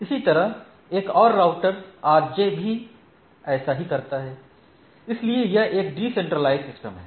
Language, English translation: Hindi, Similarly, another router RJ takes the things and going on, so it is a decentralized person